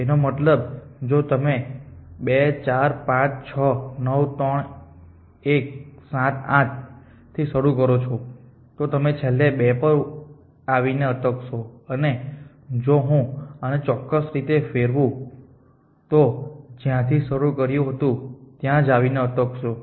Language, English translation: Gujarati, If you means start with 2 4 5 6 9 3 1 7 8 and come back to 2 if I rotated this by certain all would see the same to